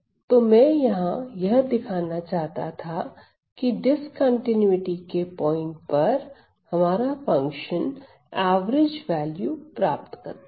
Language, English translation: Hindi, So, what I say what I show here is that at point of discontinuity at point of discontinuity the function attains the average value